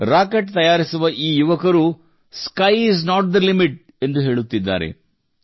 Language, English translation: Kannada, As if these youth making rockets are saying, Sky is not the limit